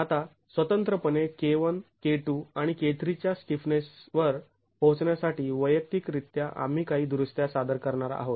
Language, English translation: Marathi, Now to arrive at the stiffness of K1, K2 and K3 independently individually we are going to introduce some corrections